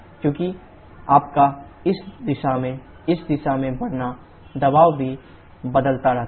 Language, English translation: Hindi, Because your moving from this direction to this direction, the pressure also keeps on changing